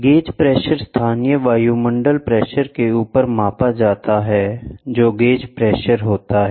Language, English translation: Hindi, Gauge pressure is measured above the local atmospheric pressure that is gauge pressure